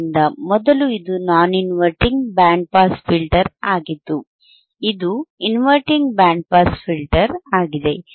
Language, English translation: Kannada, So, earlier it was non inverting band pass filter, this is inverting band pass filter